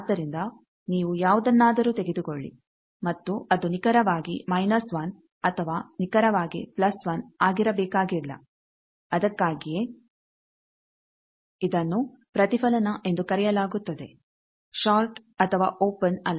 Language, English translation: Kannada, So, you take any and it need not be exactly minus 1 or exactly plus 1 that is why it is called Reflect, not short nor open